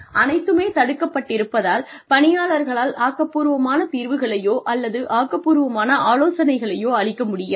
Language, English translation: Tamil, If everything was restricted, people would not be able to come up with creative solutions or creative ideas